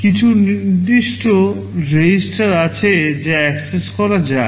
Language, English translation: Bengali, There are some specific registers which can be accessed